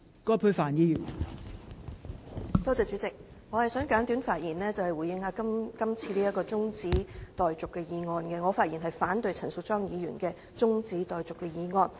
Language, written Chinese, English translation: Cantonese, 代理主席，我想簡短發言回應這項中止待續議案，我反對陳淑莊議員的中止待續議案。, Deputy President I would like to respond briefly to the adjournment motion and I oppose Ms Tanya CHANs adjournment motion